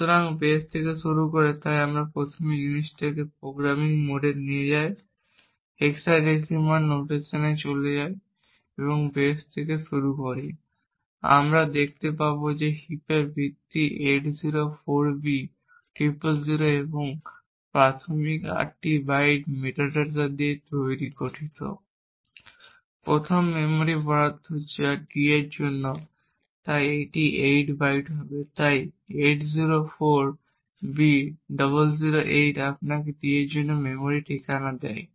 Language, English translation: Bengali, So starting from the base so we first move this thing into the programming mode and move to the hexadecimal notation and let us start out from the base and we see that the base of the heap is 804b000 and the initial eight bytes comprises of the metadata for the first memory allocation that is for d that is so it would be 8 bytes so 804B008 gives you the memory address for d